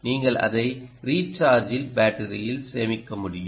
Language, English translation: Tamil, you should be able to put it into a rechargeable battery